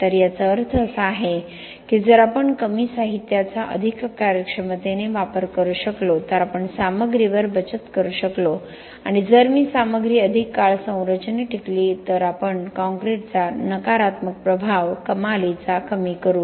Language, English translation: Marathi, So, this means that if we can save on material if we can use less material more efficiently and if me make the material last longer in the structure, we will be reducing the negative impact of concrete tremendously